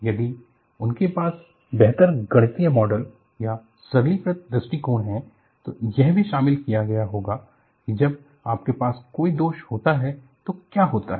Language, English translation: Hindi, If they had better mathematical model and simplified approaches, they would have also incorporated what happens when you have a flaw